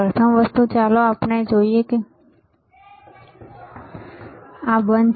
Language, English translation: Gujarati, The first thing, let us see, this is off